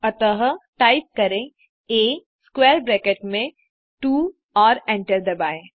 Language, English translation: Hindi, So type A within square bracket2 and hit enter